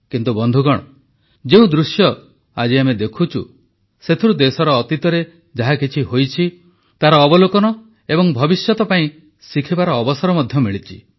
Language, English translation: Odia, But friends, the current scenario that we are witnessing is an eye opener to happenings in the past to the country; it is also an opportunity for scrutiny and lessons for the future